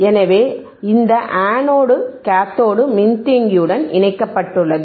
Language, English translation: Tamil, So, this anode to cathode is connected to the capacitor to the capacitor alright